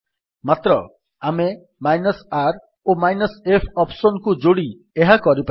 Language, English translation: Odia, But if we combine the r and f option then we can do this